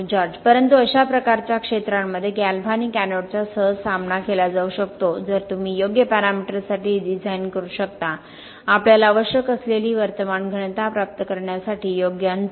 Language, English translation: Marathi, Because there are lots of outside wires Yes But in those sort of areas they can easily be coped with galvanic anodes provided you can design for the right parameters, the right spacing to achieve the current density that we require